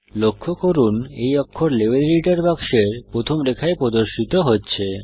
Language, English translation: Bengali, Notice, that these characters are displayed in the first line of the Level Editor box